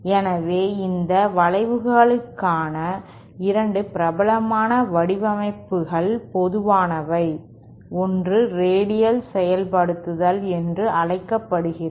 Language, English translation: Tamil, So, 2 popular designs for these bends are common, one is what is known as the radial implementation